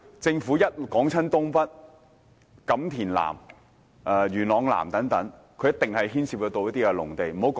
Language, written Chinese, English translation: Cantonese, 政府每逢說發展新界東北、錦田南和元朗南等，必定牽涉到農地。, Whenever the Government talks about the development of North East New Territories Kam Tin South and Yuen Long South etc agricultural land will surely be involved